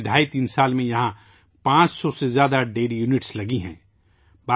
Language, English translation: Urdu, During the last twoandahalf three years, more than 500 dairy units have come up here